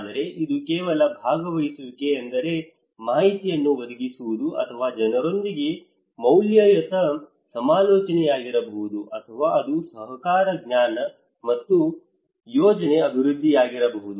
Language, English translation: Kannada, But it could be just participatory means providing informations, or it could be just a value consultations with the people, or it could be at the collaborative knowledge or plan development